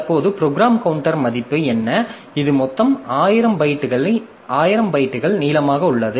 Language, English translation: Tamil, Maybe the program that it is executing has got total thousand bytes long